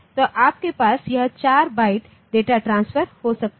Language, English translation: Hindi, So, you can have this 4 byte data transfer